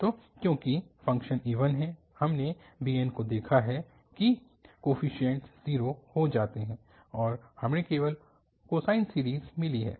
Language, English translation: Hindi, So, because the functions is even, we have observed that bn coefficients become 0 and we got only the cosine series